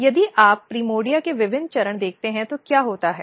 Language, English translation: Hindi, So, if you see different stage of primordia what happens